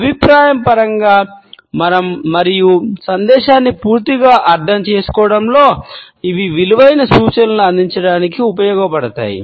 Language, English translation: Telugu, In terms of feedback and in terms of understanding the message completely, these used to provide valuable indications and cues